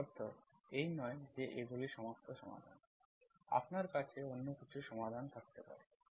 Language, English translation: Bengali, It does not mean that these are the all solutions, you may have some other solutions